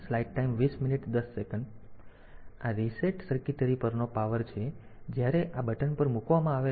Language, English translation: Gujarati, So, this is the power on reset circuitry; so, this is when this button is placed